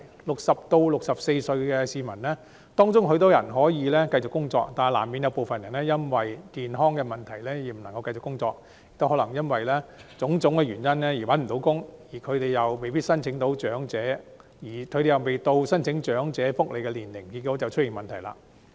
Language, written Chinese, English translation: Cantonese, 60歲至64歲的市民中有很多人可以繼續工作，但難免有部分人因健康問題而無法繼續工作，又或可能因種種原因而未能找到工作，而他們又未屆申請長者福利的年齡，結果便出現問題。, Many of the people aged between 60 and 64 may continue to work but inevitably some others may not be able to continue working because of health problems or they fail to find jobs for various reasons . However they have yet to meet the age requirement for application of elderly welfare benefits and so problems emerge